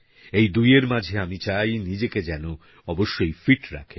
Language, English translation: Bengali, Betwixt these two I urge you to try & keep fit